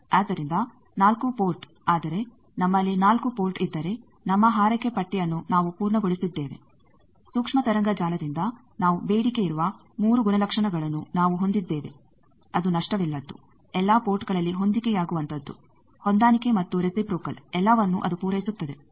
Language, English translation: Kannada, So, 4 port, but if we have 4 port we have our wish list completed that we have those 3 properties that we demanded from a microwave network that is lossless, matched at all ports, no mismatch and reciprocal all are satisfied